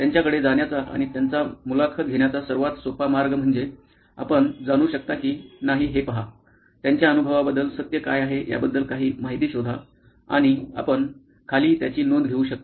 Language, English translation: Marathi, Easiest way is to go and interview them and see if you can find out, unearth some truths about what is their experience like and you can note that down